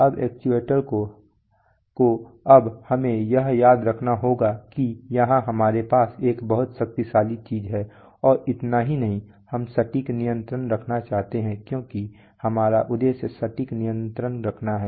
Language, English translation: Hindi, Now actuators now we have to remember that here we are having a very powerful thing and not only that we want to have precise control because our objectives is to have precise control